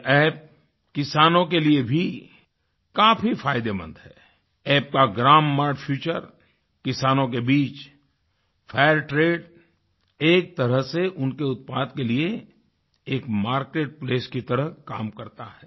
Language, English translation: Hindi, This App is very useful for the farmers and the grammar feature of the App and FACT rate among the farmers functions like a market place for their products